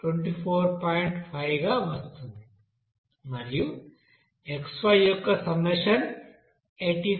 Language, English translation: Telugu, 5 and summation of xy it is coming 85